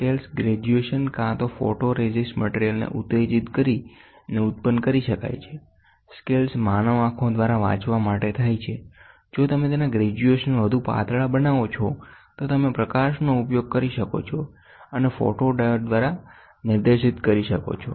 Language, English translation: Gujarati, The scales graduation can be produced either by etching photo resist material, the scales are meant to read out by human eyes; the graduations if you make it thinner and thinner and thinner you can use the light and directed by the photodiode